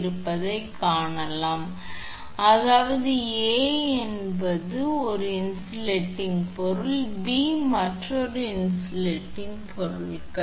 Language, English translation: Tamil, I mean A is one insulating material and B another insulating materials